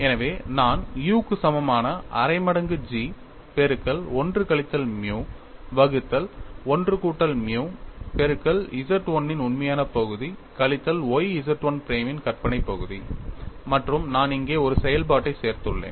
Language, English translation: Tamil, So, I have u equal to 1 by 2 G multiplied by 1 minus nu divided by 1 plus nu real part of Z 1 bar minus y imaginary part of Z 1 and I have added a function here; this is what we have to keep in mind, we have expression dou u by dou x